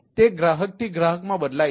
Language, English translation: Gujarati, it varies from customer to customer